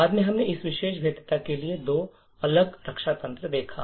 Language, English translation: Hindi, Later on, we see two different mechanisms for this particular vulnerability